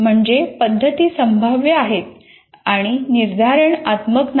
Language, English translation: Marathi, So the methods are probabilistic and not deterministic